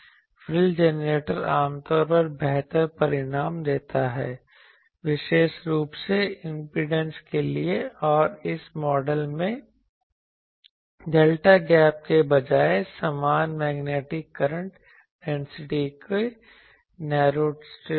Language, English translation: Hindi, The frill generator usually gives better results particularly for impedances and actually the delta gap instead of delta gap in this model the, is narrow strips of equivalent magnetic current density ok